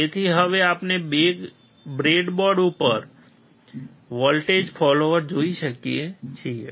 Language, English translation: Gujarati, So, now we can see the voltage follower on the breadboard